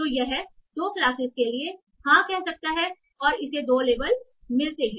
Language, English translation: Hindi, So it might say yes for two classes and it gets two label